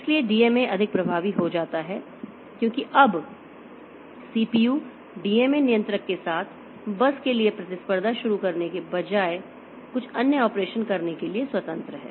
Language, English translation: Hindi, So, DMA becomes more effective because now the CPU is free to do some other operation rather than competing for the bus with the DMA controller